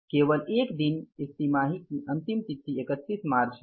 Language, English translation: Hindi, Maybe last day of this quarter is 31st March, right